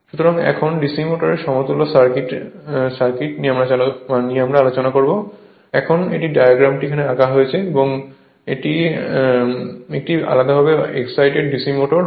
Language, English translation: Bengali, So, now equivalent circuit of DC motor, now this diagram have drawn this is a separately excited your DC machine right DC motor